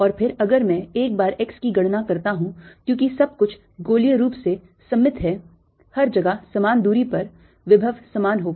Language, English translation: Hindi, and then if once i calculate at x, since everything is spherically symmetric everywhere around at the same distance, the potential would be the same